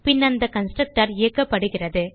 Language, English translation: Tamil, Only then the constructor is executed